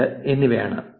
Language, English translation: Malayalam, 52 for twitter